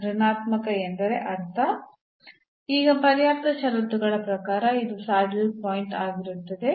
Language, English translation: Kannada, So, negative means, as per the sufficient conditions now, this will be a saddle point